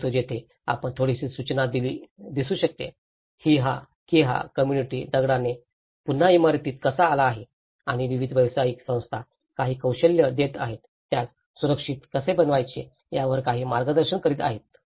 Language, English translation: Marathi, But here, you can see some notice that how the community has come back to building with the stone and the different professional bodies are giving some expertise, some guidance on how to build it safer